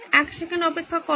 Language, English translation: Bengali, Wait a second